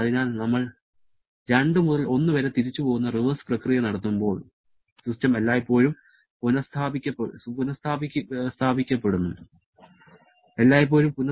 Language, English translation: Malayalam, So, when we are performing the reverse process that is going back from 2 to 1, the system is always restored